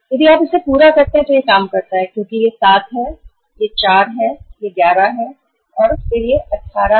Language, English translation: Hindi, This is if you total it up it works out as this is 7, this is 4, this is 11, and then it is 18 to 20